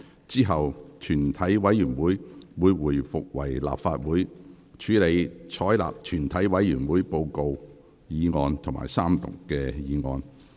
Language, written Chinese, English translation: Cantonese, 之後，全體委員會會回復為立法會，處理採納全體委員會報告的議案及三讀議案。, Then the Council will resume and deal with the motion that the report that was made in the committee of the whole Council be adopted and the motion on Third Reading